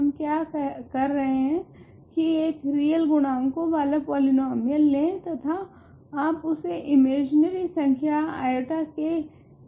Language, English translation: Hindi, What we are doing is take a polynomial with real coefficients and you evaluate it at the imaginary number i